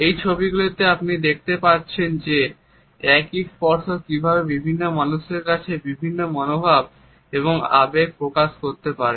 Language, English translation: Bengali, In the visuals you can look at how the same touch can convey different attitudes and emotions to people